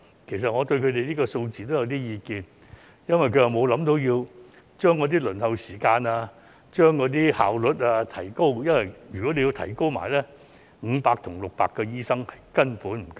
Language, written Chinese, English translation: Cantonese, 其實我對這個數字也有意見，因為他們沒有考慮縮短輪候時間和提高效率，否則500至600個醫生根本不足夠。, Actually I am not quite satisfied with this figure because if shortening the waiting time and improving the efficiency are taken into account 500 to 600 will not be enough